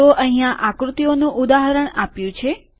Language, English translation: Gujarati, So example of the figure is given here